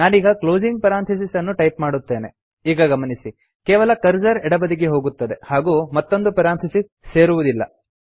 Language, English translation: Kannada, Im now typing the closing parenthesis and note that only the cursor moves to the right and the extra parenthesis is not added